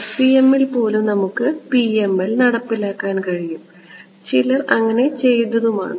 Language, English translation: Malayalam, Even FEM we can implement PML and people have done so ok